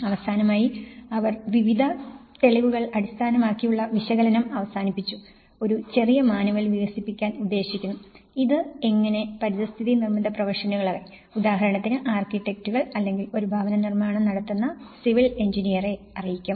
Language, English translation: Malayalam, And finally, they have concluded with various evidence based analysis, they try to develop a small manual about to you know, which gives the kind of thumb rules for example, how it will inform the built environment professionals for instance, in architects or a civil engineer who is constructing the housing